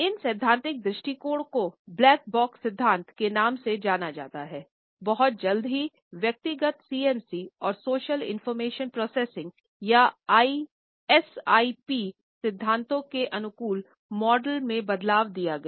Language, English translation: Hindi, These theoretical approaches which have been termed as the ‘black box’ theory, very soon changed into adaptive models of hyper personal CMC and social information processing or SIP theories